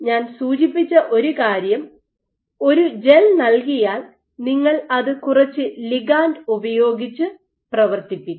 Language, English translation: Malayalam, So, one thing I mentioned that given a gel you functionalize it with some ligand